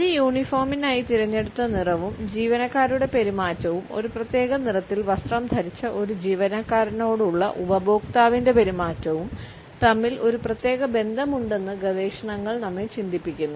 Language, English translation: Malayalam, Researchers also lead us to think that there is a certain relationship between the color which is chosen for a uniform and the behavior of the employees as well as the behavior of a customer towards an employee who is dressed in a particular color